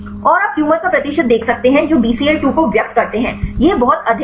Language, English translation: Hindi, And you can see the percentage of tumors which express the Bcl 2; this is the is very high